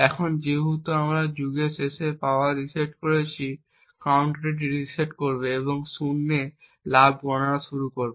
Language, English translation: Bengali, Now since we reset the power at the end of the epoch the counter would reset and start counting gain to zero